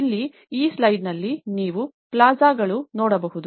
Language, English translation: Kannada, In here, what you can see in this slide is the plazas